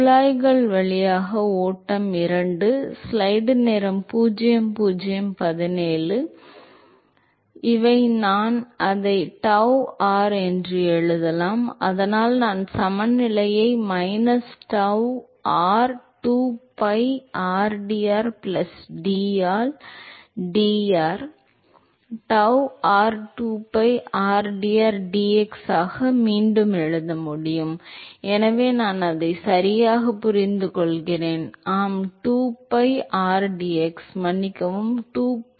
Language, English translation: Tamil, These, I can write it as tau r, so I can rewrite the balance as minus tau r 2pi rdr plus d by dr, tau r 2pi rdr into dx, so I get it right, yeah 2pi rdx, sorry 2pi rdx